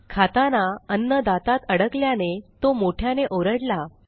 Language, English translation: Marathi, The food gets stuck between his teeth and he screams out loudly